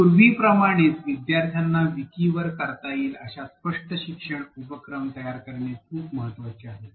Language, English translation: Marathi, Like earlier, it is very important to set up a clear learning activities that learners can do on the wiki